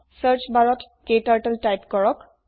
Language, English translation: Assamese, In the Search bar, type KTurtle